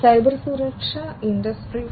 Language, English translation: Malayalam, So, Cybersecurity for Industry 4